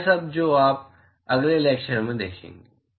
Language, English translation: Hindi, All that you will see in the next lecture